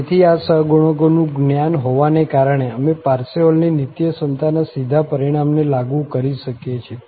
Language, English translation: Gujarati, So, having the knowledge of these coefficients, we can apply the direct result of the Parseval's Identity